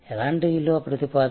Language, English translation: Telugu, What kind of value proposition